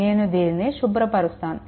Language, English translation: Telugu, Now, I am clearing it right